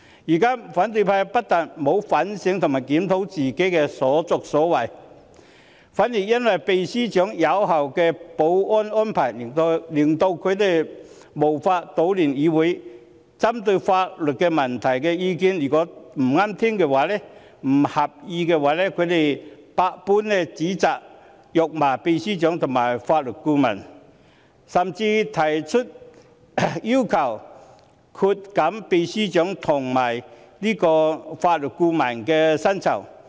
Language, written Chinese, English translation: Cantonese, 如今，反對派不但沒有反省和檢討自己的所作所為，反而因為秘書長有效的保安安排令他們無法搗亂議會，因為法律顧問的意見不中聽、不合意，百般指責和辱罵秘書長和法律顧問，甚至提出要求削減秘書長和法律顧問的薪酬。, Today not only have the opposition failed to reflect on themselves and review their deeds they even chide and curse the Secretary General and the Legal Adviser and even propose to cut the salaries of the Secretary General and the Legal Adviser . They do so as the effective security arrangement made by the Secretary General prevented them from disrupting the legislature and the views offered by the Legal Adviser were neither pleasant to their ears nor to their liking